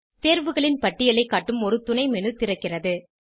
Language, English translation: Tamil, A submenu opens, displaying a list of options